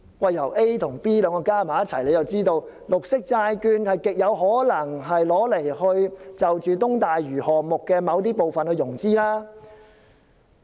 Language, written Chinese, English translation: Cantonese, 把 A 和 B 結合起來，便知道政府極有可能以綠色債券為東大嶼項目的某些部分融資。, Putting A and B together we know it is highly probable that the Government will issue green bonds to finance certain parts of the East Lantau project